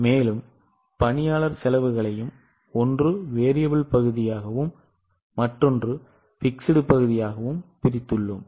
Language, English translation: Tamil, First of all, we will have to divide each cost into variable portion and fixed portion